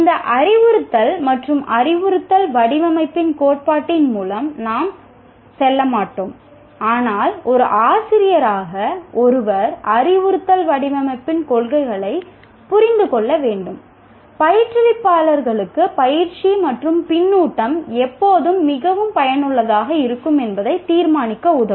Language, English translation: Tamil, We will not be going through the theory of this instruction and instructional design, but as a teacher one has to understand the principles of instructional design would help instructors to decide when practice and feedback will be most effective, when it would not would benefit students to be put into groups